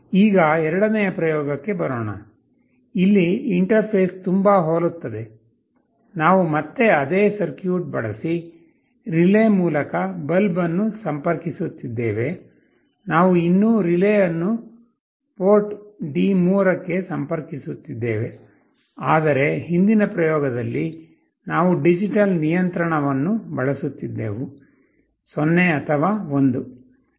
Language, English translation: Kannada, Coming to the second experiment, the interface is very similar, we are again connecting the bulb through the relay using the same circuit, we are still connecting the relay to the port D3, but in the previous experiment we were using digital control, either 0 or 1, but in this experiments were using PWM control to send a continuous pulse train on D3